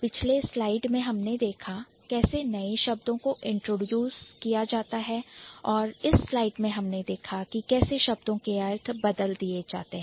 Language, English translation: Hindi, So, in the previous slide, we saw how the new words are introduced and in this slide we saw how the meanings are changed